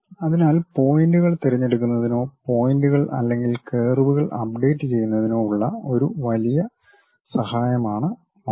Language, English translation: Malayalam, So, mouse is a enormous help for us in terms of picking the points or updating the points or curves